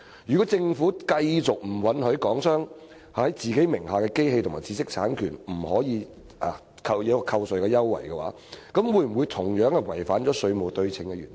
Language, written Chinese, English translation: Cantonese, 如果政府繼續拒絕讓港商就其名下的機器和知識產權享有扣稅優惠，是否違反了"稅務對稱"原則？, If the Government continues to refuse to grant Hong Kong enterprises tax deduction for the machinery and IPRs under their name is it in breach of the principle of tax symmetry?